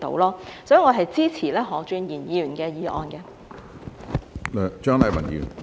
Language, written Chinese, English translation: Cantonese, 所以，我支持何俊賢議員的議案。, Therefore I support Mr Steven HOs motion